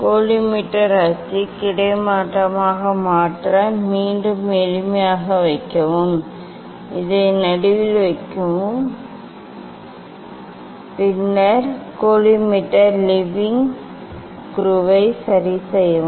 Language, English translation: Tamil, collimator to make collimator axis horizontal, place again just it is simple, place this one in middle and then just adjust the collimator leveling screw